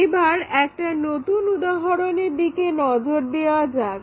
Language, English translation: Bengali, Now, let us look at a new example